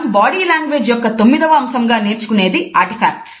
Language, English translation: Telugu, The ninth aspect of body language which we shall study is about the Artifacts